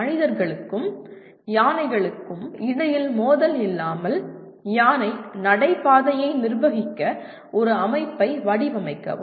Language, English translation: Tamil, Design a system for managing an elephant corridor without conflict between humans and elephants